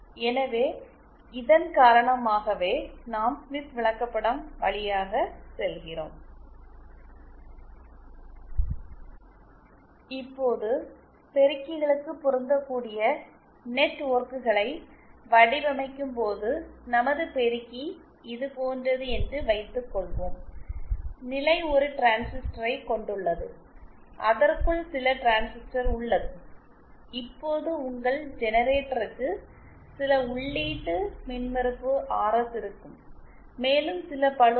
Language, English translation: Tamil, Now when it comes to designing matching networks for amplifiers, let us suppose our amplifier is like this, state has a transistor, some transistor inside it, now your generator will have certain input impedance RS and there will be some load RL